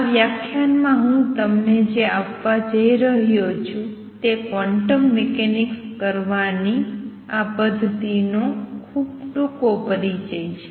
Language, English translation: Gujarati, What I am going to give you in this lecture is a very brief introduction to this method of doing quantum mechanics